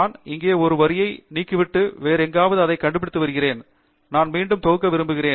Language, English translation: Tamil, I am just removing one line here and locating it somewhere else; then I am going to compile that again